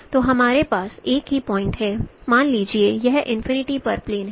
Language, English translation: Hindi, Suppose this is plane at infinity